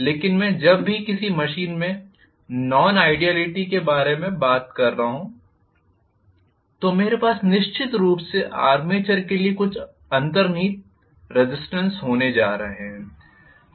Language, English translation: Hindi, But when I am talking about nonideality in any machine I am definitely going to have some inherent resistance for the armature